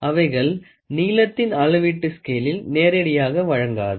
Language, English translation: Tamil, They will not directly provide the measurement of length on a scale